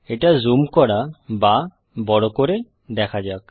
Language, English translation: Bengali, Let us also zoom it